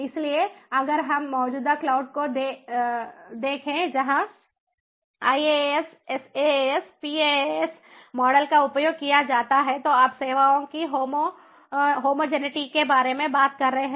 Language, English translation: Hindi, so if we look at the existing cloud where iaas, saas, paas models are used, there you are talking about homogeneity of services